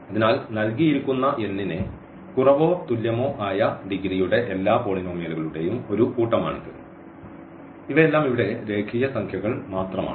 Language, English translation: Malayalam, So, this is a set of all polynomials of degree less than or equal to n for given n and all these a’s here are just the real numbers